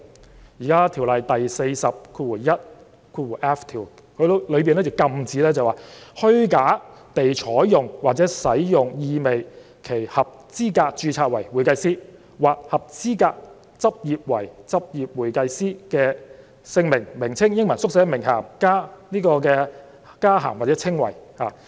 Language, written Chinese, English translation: Cantonese, 《專業會計師條例》第 421f 條禁止任何人"虛假地採用或使用意味其合資格註冊為會計師或合資格執業為執業會計師的姓名或名稱、英文縮寫、名銜、加銜或稱謂"。, Section 421f of the Ordinance prohibits any person from falsely taking or using any name initials title addition or description implying that he is qualified to be registered as a certified public accountant or to practice as a certified public accountant